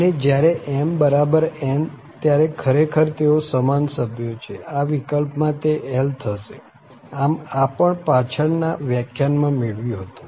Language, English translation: Gujarati, And, when m equal to n so basically they are the same member, in that case, this is coming as l, so this was derived also in the previous lecture